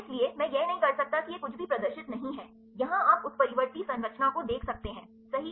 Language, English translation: Hindi, So, I cannot is it is nothing is not to displayed here you can see the mutant structure right